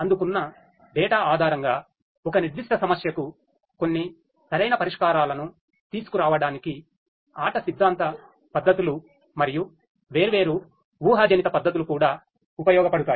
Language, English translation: Telugu, And different predictive techniques such as game theoretic techniques and so on could also be used to come up with some optimal solution to a particular problem based on the data that is received